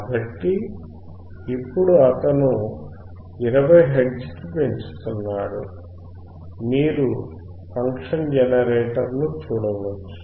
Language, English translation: Telugu, So now, he is increasing to 20 hertz, you can see the function generator